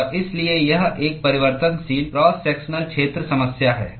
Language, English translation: Hindi, And so, it is a variable cross sectional area problem